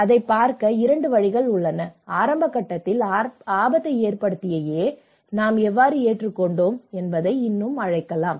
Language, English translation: Tamil, There are 2 ways of looking at it; we can still call the A who have taken a risk in a very initial state, how we have adopted